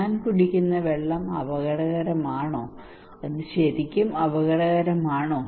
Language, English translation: Malayalam, Is it risky is the water I am drinking is it really risky